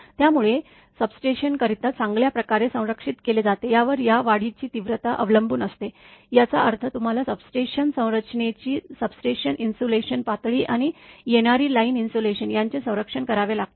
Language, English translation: Marathi, So, the severity of the surge depends on how well the substation is shielded right; that means, you have to protect the substation insulation level of the substation structure, and the incoming line insulation